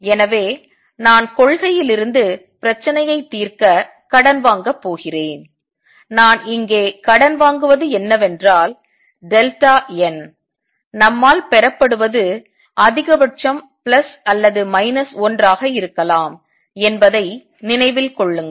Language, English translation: Tamil, So, I am going to borrow to solve the problem from the principle, and what I borrow here is that delta n remember we derive can be maximum plus or minus 1